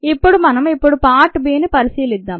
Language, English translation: Telugu, now let us consider part b